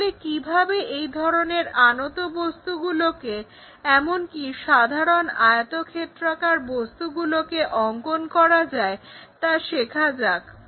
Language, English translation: Bengali, So, let us learn how to construct such kind of rotated inclined kind of objects even for the simple rectangular objects